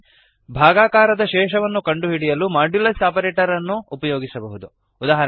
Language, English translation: Kannada, Please note that Modulus operator finds the remainder of division